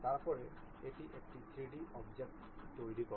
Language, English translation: Bengali, Then it construct 3D object